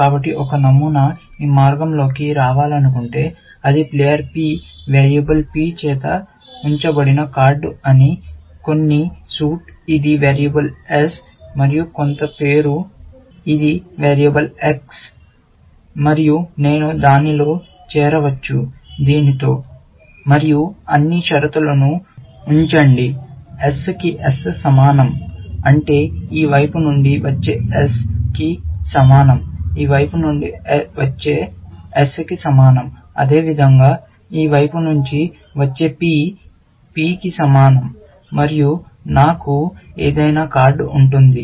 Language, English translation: Telugu, So, if a pattern wants to come down this path, it would say that it is the card held by player P variable P, some suit, which is a variable S, and some name, which is variable X, and I can join it with this, and put all the conditions; that S equal to S, which means S coming from this side, is the same as the S coming from this side, likewise, for the P coming from this side, P equal to P and I would have that any card